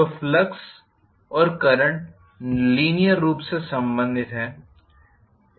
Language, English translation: Hindi, So, the flux and current are linearly related